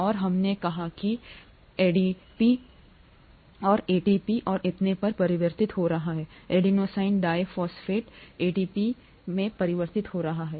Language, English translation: Hindi, And we said ADP getting converted to ATP and so on so forth, adenosine diphosphate getting converted to ATP